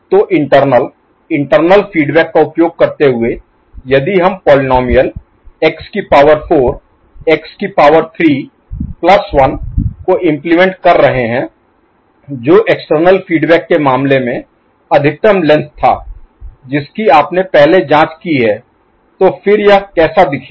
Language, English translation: Hindi, So, internal using internal feedback if we are implementing the polynomial x to the power 4, x to the power 3 plus 1 which was maximal length in case of the external feedback which you have already investigated, so then how it would look like